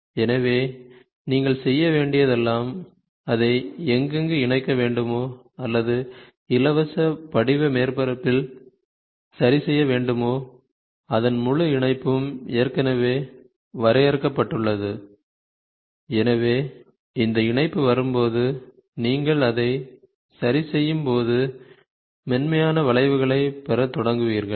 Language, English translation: Tamil, So, all you have to do is wherever you wanted to attach it or fix it up to a to a free form surface, the entire patch has been already defined, so that patch comes, you fix it up and then you start getting the smoothing of the curve